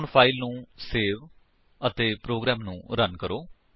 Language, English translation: Punjabi, Now Save the file and Run the program